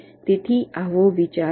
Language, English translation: Gujarati, ok, so this the idea